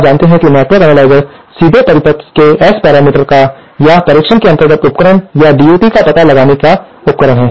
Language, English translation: Hindi, As you know network analyser are devices for finding out, which directly measure the S parameters of the circuit or the device under test or DUT as we call it